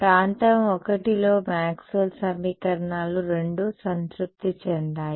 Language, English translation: Telugu, In region I Maxwell’s equations is satisfied by both